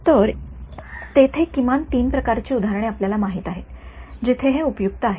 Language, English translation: Marathi, So, there are at least you know three different kinds of examples where this is useful